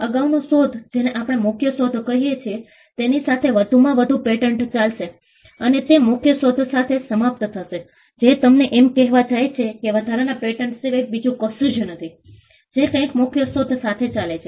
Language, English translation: Gujarati, The patent of addition will run along with the earlier invention, what we call the main invention, and it will expire along with the main invention; Which goes to tell you that a patent of addition is nothing but, something which runs along with a main invention